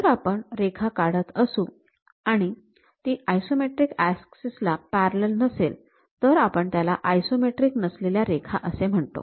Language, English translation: Marathi, If we are drawing a line, not parallel to these isometric axis; we call non isometric lines